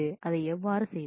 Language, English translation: Tamil, How we do that